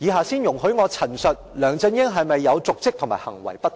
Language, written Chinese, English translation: Cantonese, 先容許我陳述梁振英是否有瀆職和行為不當。, First let me recount if LEUNG Chun - ying has committed the offence of dereliction of duty and misconduct